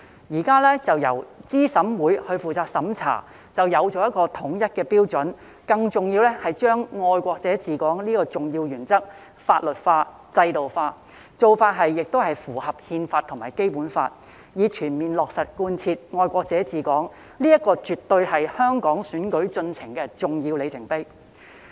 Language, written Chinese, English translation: Cantonese, 現時由資審會負責審查，便有統一的標準，更重要的是把"愛國者治港"這項重要原則法律化、制度化，做法亦符合《憲法》及《基本法》，以全面落實貫徹"愛國者治港"，這絕對是香港選舉進程的重要里程碑。, The current approach of having CERC responsible for the review will put uniform criteria in place . More importantly it will legalize and institutionalize the important principle of patriots administering Hong Kong which is also in line with the Constitution and the Basic Law so that patriots administering Hong Kong can be fully implemented . This is definitely an important milestone in the development of Hong Kongs electoral process